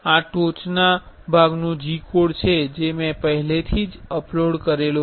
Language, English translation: Gujarati, This is a top part G code I have already uploaded